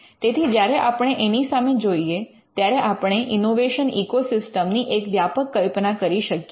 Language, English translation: Gujarati, So, when we are looking at this, we have to have a broader view of the innovation ecosystem